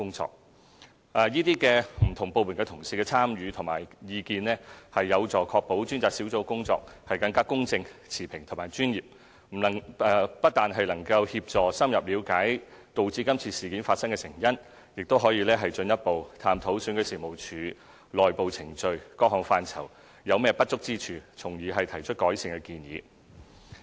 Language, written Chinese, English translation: Cantonese, 專責小組由不同部門同事參與和給予意見，有助確保其工作更公正、持平和專業，不但能夠協助深入了解導致今次事件發生的成因，亦可以進一步探討選舉事務處內部程序等不同範疇，尋找當中不足之處，從而提出改善建議。, As these member colleagues come from different departments their participation and the comments they make help ensure the Task Force performs in a fair impartial and professional manner . On top of helping us gain an in depth understanding of the underlying causes of the incident their contributions also aid further examination of various aspects such as the internal procedures adopted by REO enable us to identify deficiencies and thereby formulating recommendations for improvement